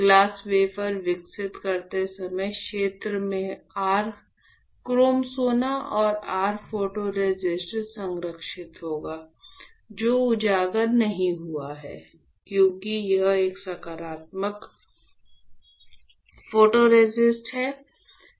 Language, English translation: Hindi, When you develop the glass wafer; what you will have, you will have your chrome gold and your photoresist protected in the area, which was not exposed since it is a positive photoresist right